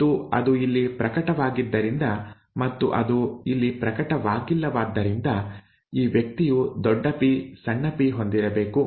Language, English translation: Kannada, And since it has manifest here and also it has not manifest here this person must have had capital P, small p, okay